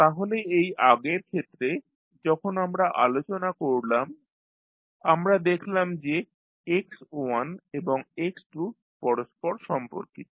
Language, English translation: Bengali, So just previous case when we discussed, we discuss that how x1 and x2 related